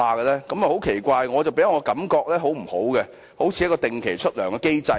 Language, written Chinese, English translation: Cantonese, 這一點很奇怪，給我的感覺很不好，好像一個定期支薪的機制。, This is very weird . I do not feel comfortable . All is just like a regular payroll